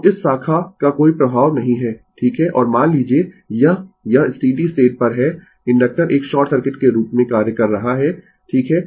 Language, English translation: Hindi, So, this this ah this ah branch has no effect right and suppose this ah your this at steady state the inductor is acting as a your short circuit right